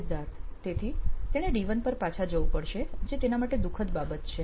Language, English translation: Gujarati, So he will have to he will have to go back to D1 that is a sad thing for him